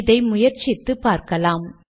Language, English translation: Tamil, Lets see what happens when we try this